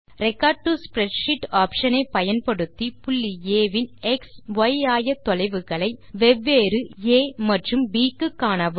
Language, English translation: Tamil, Use the Record to Spreadsheet option to record the x and y coordinates of a point A, for different a and b value combinations